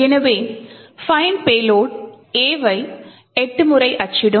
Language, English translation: Tamil, So find payload would print A 8 times